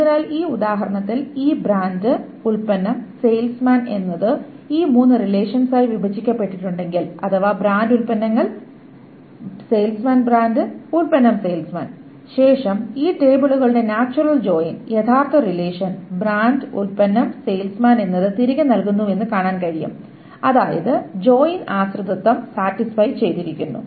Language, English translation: Malayalam, So, here in this example, if this brand product salesman has been broken up into these three relations, brand products, salesman, then one can see that the natural join of all of these tables together gives back the original relation brand product salesman such that the joint dependency is satisfied